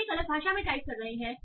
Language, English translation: Hindi, So you are typing in a different language